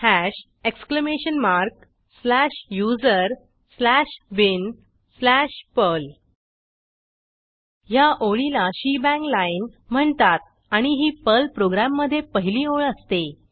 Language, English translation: Marathi, Hash exclamation mark slash usr slash bin slash perl This line in Perl is called as a shebang line and is the first line in a Perl program